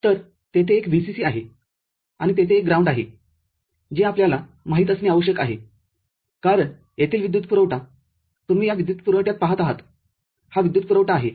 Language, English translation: Marathi, So, there is a VCC and there is a ground which is required you know as power supply over here you see in this power supply, this power supply